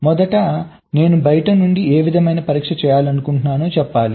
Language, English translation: Telugu, first, i must tell from outside that what kind of test i want to do